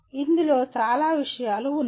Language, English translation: Telugu, There are several things in this